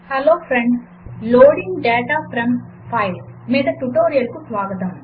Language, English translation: Telugu, Hello Friends and Welcome to this tutorial on loading data from files